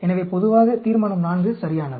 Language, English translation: Tamil, So, generally, a Resolution IV is ok